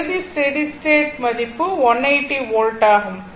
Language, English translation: Tamil, The final value steady state value is 180 volt right